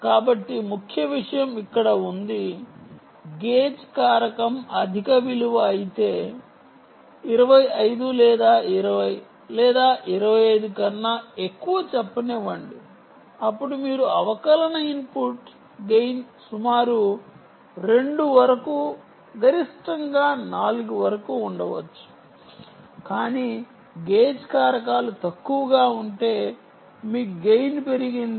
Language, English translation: Telugu, if it is a high value, lets say greater than twenty five or twenty, or twenty five, twenty five, then you can have a differential input input gain of about two up to a maximum of about maximum of about four, ok, but if gage factors is low, then your gain has to be increased